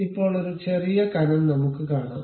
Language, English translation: Malayalam, Now, a small thickness let us give it